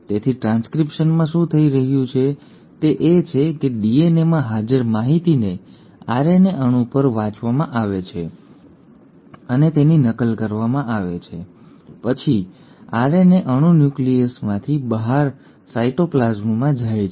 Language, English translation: Gujarati, So in transcription, what is happening is that the information which is present in the DNA is read and copied onto an RNA molecule, and then the RNA molecule moves out of the nucleus into the cytoplasm